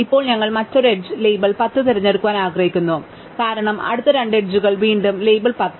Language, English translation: Malayalam, Now, we want to pick another edge label 10, because the next two edges are again label 10